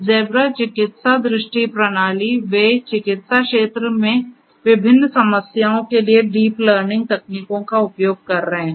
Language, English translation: Hindi, Zebra medical vision system, they are using deep learning techniques for de different problems in the medical domain